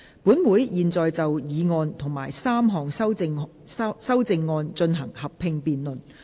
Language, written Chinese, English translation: Cantonese, 本會現在就議案及3項修正案進行合併辯論。, Council will now proceed to a joint debate on the motion and the three amendments